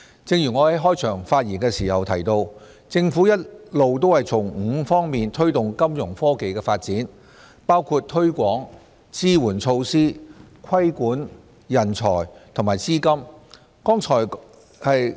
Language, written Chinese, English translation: Cantonese, 正如我在開場發言時提到，政府一直從5方面推動金融科技的發展，包括推廣、支援措施、規管、人才和資金。, As I said in my opening speech the Government has long adopted a five - pronged approach namely promotion facilitation regulation talents and funding to facilitate Fintech development